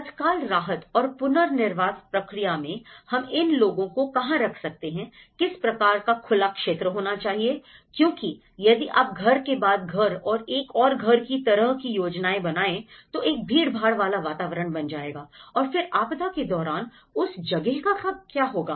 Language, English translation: Hindi, In the immediate relief and rehabilitation process, where can we actually put these people, what kind of open area because if you keep planning house for house, house for house and then if you make it as the congested environment, so what happens during a disaster